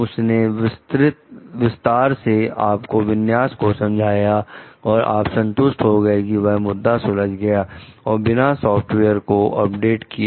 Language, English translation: Hindi, He described the configuration to you in detail and you were satisfied that the issue was solved and without the need to update your software